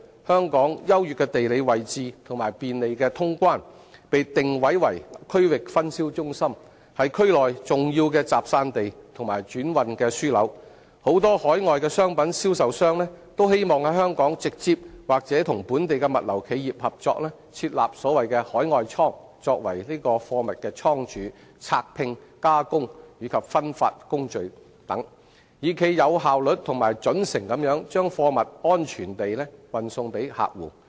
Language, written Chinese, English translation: Cantonese, 香港優越的地理位置和便利的通關，被定位為區域分銷中心，是區內重要的集散地和轉運樞紐，很多海外商品銷售商均希望在香港直接或與本地物流企業合作設立所謂的"海外倉"作為貨物倉儲、拆拼、加工及分發等工序，以冀有效率及準繩地把貨物安全運送給客戶。, As Hong Kong has an advantageous geographical location and convenient customs clearance it has been positioned as a regional distribution centre an important goods collecting and distributing centre as well as a transhipment hub in the region . Many overseas product vendors hope to establish the so - called overseas warehouses directly or in partnership with local logistics enterprises in Hong Kong to perform processes such as warehousing packing and unpacking processing and distributing so that goods can be safely delivered to customers efficiently and correctly